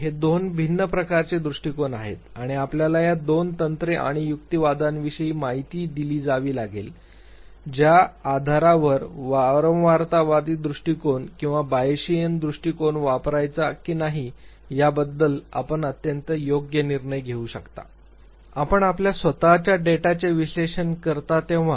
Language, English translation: Marathi, These are two different types of approaches and you need to be informed about these two techniques and the arguments based on which you can make very informed decision whether to use the frequentist approach or the Bayesian approach when you analyze your own data